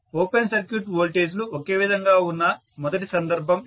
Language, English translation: Telugu, This is the first case where open circuit voltages are the same